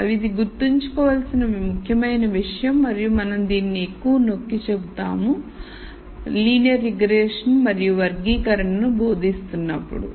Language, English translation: Telugu, So, that is called the test data and this is an important thing to remember and we will emphasize this more when we teach linear regression and classification